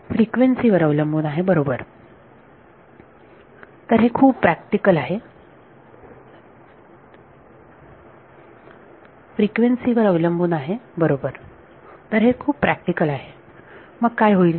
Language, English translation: Marathi, Frequency dependent right; so, in a very practical sense what happens